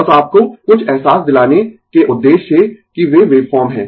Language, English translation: Hindi, Just for the purpose of your that giving you some feeling that they are waveform right